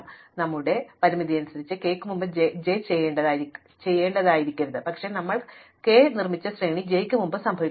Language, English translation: Malayalam, So, it cannot be that we have to do j before k according to our constraint, but in the sequence that we produce k happens before j